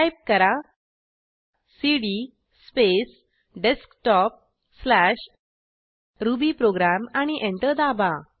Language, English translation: Marathi, So lets type cd space Desktop/rubyprogram and press Enter